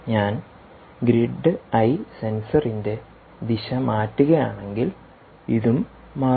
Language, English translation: Malayalam, if i change the direction of the grid eye sensor, this will also change, you can see